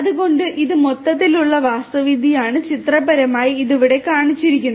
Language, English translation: Malayalam, So, this is this overall architecture pictorially it is shown over here